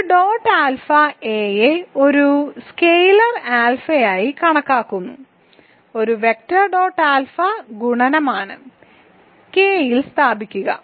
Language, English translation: Malayalam, So, a dot alpha a is being thought of as a scalar alpha is being thought of as a vector is simply a dot alpha multiplication taking place in K ok